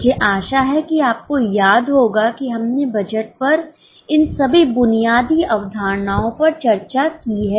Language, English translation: Hindi, I hope you remember we have discussed all these basic concepts on budget